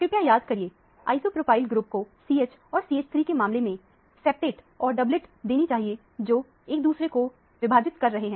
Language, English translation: Hindi, Please recall that, isopropyl group should give a septet and a doublet in terms of the CH and the CH3 splitting each other